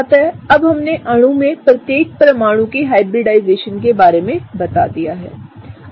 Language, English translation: Hindi, So, now we have kind of jotted down the hybridization of each and every atom in the molecule